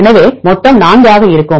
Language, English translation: Tamil, So, total will be 4